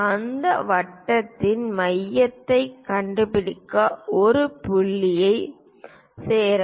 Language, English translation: Tamil, Join these points to locate centre of that circle